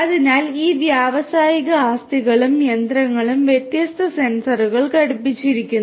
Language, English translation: Malayalam, So, these industrial assets and machines these are fitted with different sensors